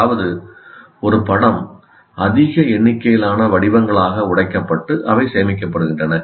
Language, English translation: Tamil, That means as if any picture is broken into large number of patterns and they're stored